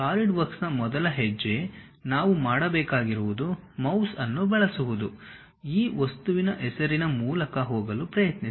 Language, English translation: Kannada, The first step as Solidworks what we have to do is using mouse try to go through this object name New